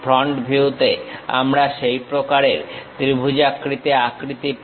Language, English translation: Bengali, In the front view, we have such kind of triangular shape